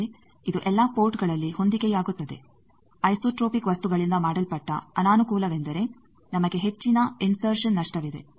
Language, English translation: Kannada, But it will match at all ports made of isotropic material the disadvantage is we have high insertion loss